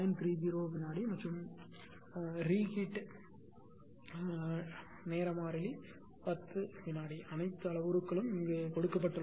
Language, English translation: Tamil, 30 second and the re time constant 10 second all parameters are given